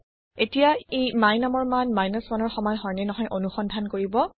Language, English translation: Assamese, It will now check if the value of my num is equal to 1